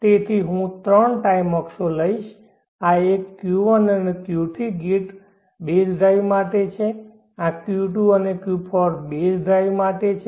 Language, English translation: Gujarati, So I will take 3 time axis, this one is for Q1 and Q3 gate base drive, this is for Q2 and Q4 base drive